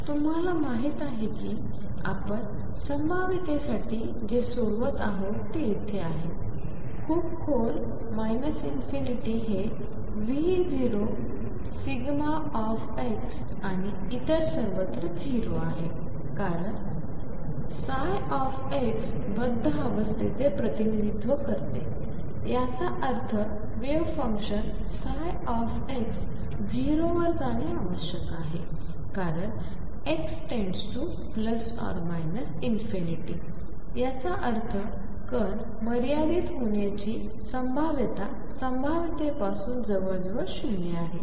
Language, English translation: Marathi, So, that it is you know mine; what we are solving for the potential is right here, very deep minus infinity this is V naught delta x and 0 everywhere else since psi x represents bound state; that means, the wave function psi x must go to 0 as x goes to plus or minus infinity; that means, there is a almost 0 probability of finite the particle far away from the potential